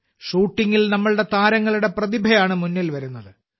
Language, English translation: Malayalam, In shooting, the talent of our players is coming to the fore